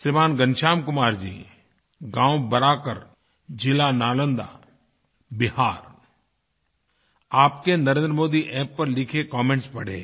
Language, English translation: Hindi, Shriman Ghanshyam Kumar ji of Village Baraakar, District Nalanda, Bihar I read your comments written on the Narendra Modi App